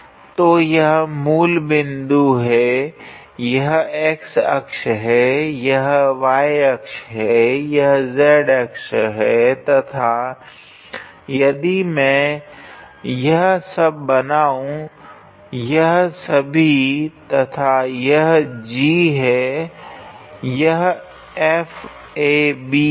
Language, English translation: Hindi, So, this is the origin that is my x axis that is y axis, this is z axis and if I draw then this is all right and this is G, this is F A B